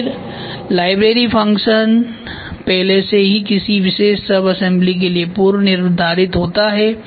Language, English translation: Hindi, So, then the library function is already prefixed for a particular subassembly